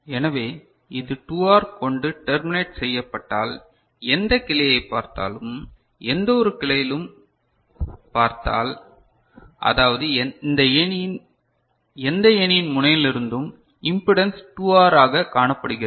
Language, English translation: Tamil, So, if it is terminated with 2R ok, then looking into any branch; looking into any branch means in the ladder from any node right, the impedance is seen as 2R